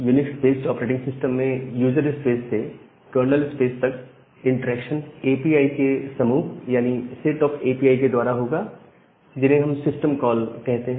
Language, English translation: Hindi, And, in a UNIX based operating system from the user space to kernel space that interaction will be done with the set of APIs which we call as the system call